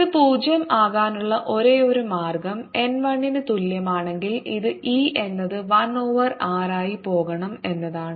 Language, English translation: Malayalam, the only way this can become zero is if n equals one and this implies e should go as one over r